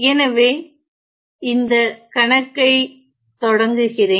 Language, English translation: Tamil, So, let me start this problem